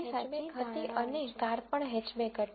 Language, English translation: Gujarati, So, the prediction was Hatchback and the car was also Hatchback